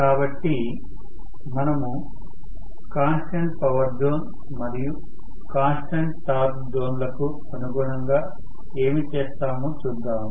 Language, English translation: Telugu, So, let us try to see what we, do you know corresponding to constant power and constant torque zone